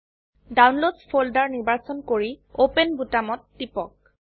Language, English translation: Assamese, Select Downloads folder and click on open button